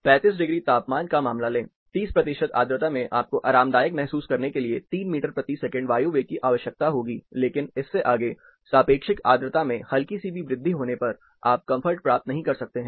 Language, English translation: Hindi, Take a case of 35 degree temperature, 30 percent humidity you will need 3 meter per second air velocity to be comfortable, but beyond that, even a slide increase in relative humidity, you cannot attain comfort